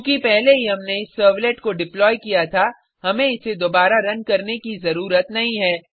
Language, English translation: Hindi, Since we deployed this servlet earlier, we need not run it again